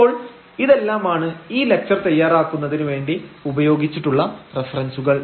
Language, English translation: Malayalam, So, these are the references used for preparing the lectures